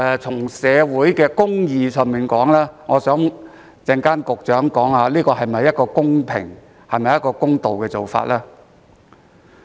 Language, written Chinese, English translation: Cantonese, 就社會公義而言，我希望局長稍後交代一下，這是否一個公平公道的做法。, For the sake of social justice I hope that the Secretary will explain later whether this approach is fair and just